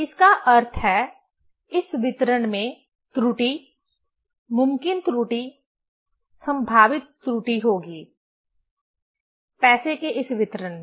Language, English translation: Hindi, That means, there will be error, possible error, probable error in this distribution; in this distribution of money